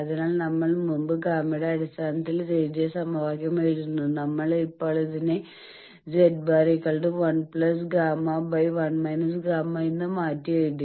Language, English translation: Malayalam, So, that is why we are writing that equation which previously we have written in terms of gamma, now we have changed it to Z bar is equal to 1 plus gamma by 1 minus gamma